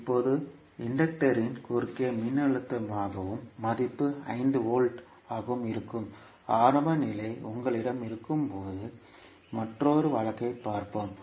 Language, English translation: Tamil, Now, let us see another case, when you have the initial condition that is voltage V across the capacitor and the value is 5 volts